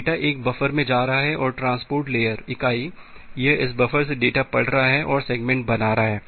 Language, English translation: Hindi, So, the data is going to a buffer, and the transport layer entity, it is reading the data from this buffer and creating the segments